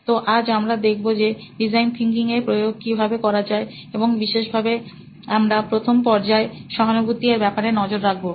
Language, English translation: Bengali, So we today will look at how to apply design thinking and in particular we look at the first stage of design thinking called empathize